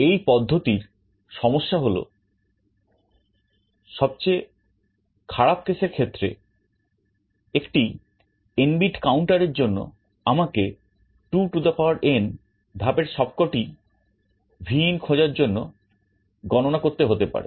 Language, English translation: Bengali, One problem with this method is that in the worst case for an n bit counter I may have to count through all 2n steps to find where Vin is